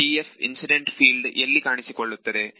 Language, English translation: Kannada, Because TF is the incident field